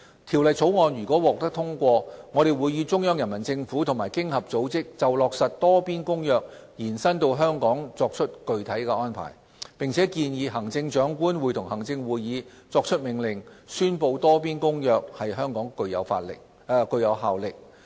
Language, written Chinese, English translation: Cantonese, 《條例草案》如獲通過，我們會與中央人民政府和經合組織就落實《多邊公約》延伸至香港作具體安排，並建議行政長官會同行政會議作出命令，宣布《多邊公約》在香港具有效力。, Subject to the passage of the Bill we will work out the specific arrangements with the Central Peoples Government and OECD regarding the implementation of extending the application of the Multilateral Convention to Hong Kong . We will also recommend the Chief Executive in Council to make an order to declare that the Multilateral Convention shall have effect in Hong Kong